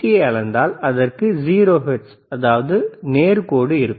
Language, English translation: Tamil, But if you measure DC it will have 0 hertz, straight line